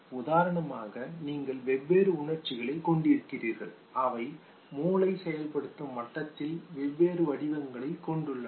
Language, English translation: Tamil, For instance you have different emotions which have different patterns in the brain activation given